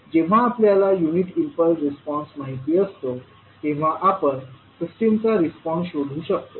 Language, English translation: Marathi, So we can find out the response of the system when we know the unit impulse response